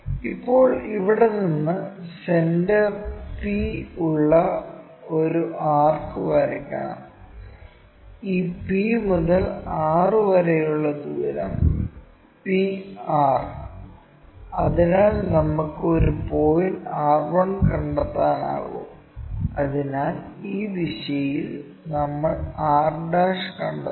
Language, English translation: Malayalam, Now, we have to draw an arc with center p from here, and radius pr that is this p to r, so that we can locate a point r 1; so in this direction we locate r 1